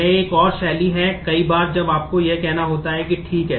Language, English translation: Hindi, This is another style, that many a times when you have to say that ok